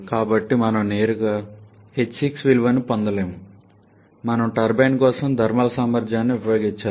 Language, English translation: Telugu, So, we cannot get the value of 8, 6 directly we have to use the thermal efficiency for the turbine